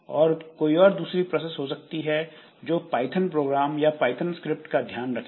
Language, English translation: Hindi, Then there may be another process that takes care of the Python programs, the Python scripts